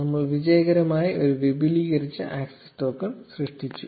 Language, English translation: Malayalam, We have successfully generated an extended access token